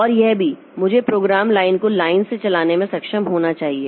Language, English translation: Hindi, And also I should be able to run a program line by line